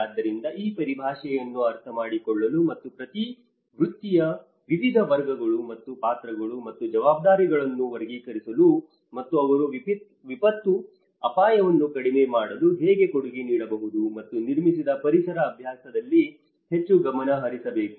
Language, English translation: Kannada, So, this is where to understand this jargon and to classify various categories and roles and responsibilities of each profession and how they can contribute to the disaster risk reduction and more focused into the built environment practice